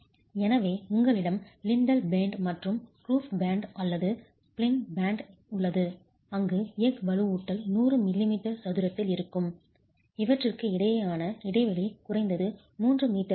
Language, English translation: Tamil, So, you have the lintel band and the roof band or the plinth band where the steel reinforcement is at least 100 millimetre square and the spacing between these is at least 3 meters apart